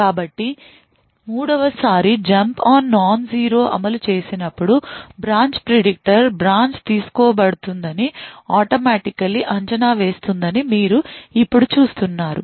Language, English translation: Telugu, So, now you see that the 3rd time when that a jump on no zero gets executed the branch predictor would automatically predict that the branch would be taken